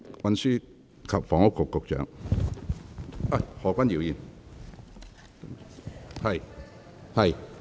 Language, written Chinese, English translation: Cantonese, 運輸及房屋局局長，請發言。, Secretary for Transport and Housing please speak